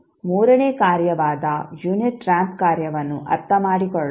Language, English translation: Kannada, Now, let us understand the third function which is unit ramp function